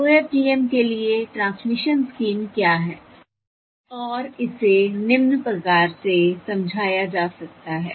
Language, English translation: Hindi, That is, what is the transmission scheme for OFDM, and that can be explained as follows